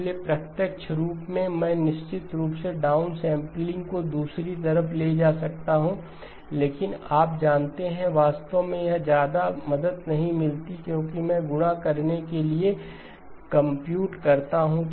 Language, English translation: Hindi, So in the direct form, I can of course move the down sampling to the other side, but you know what really does not help much, because I end up having to compute the multiplication